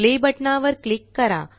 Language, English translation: Marathi, Click the Play button